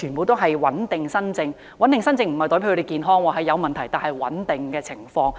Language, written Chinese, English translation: Cantonese, 所謂"穩定新症"，並非指病人身體健康，而是有問題但情況穩定。, The patients involved in stable new cases are not exactly in perfect health . They still have problems but their conditions are stable